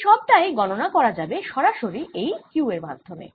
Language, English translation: Bengali, can we calculate the force directly from this minus q